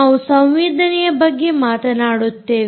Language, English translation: Kannada, we talk about sensing